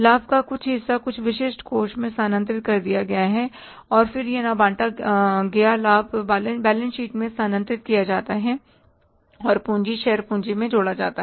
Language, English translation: Hindi, So, part of the profit is distributed as dividend to the shareholders, part of the profit is transferred to some specific reserves and then undistributed profit left is transfer to the balance sheet and added in the capital, share capital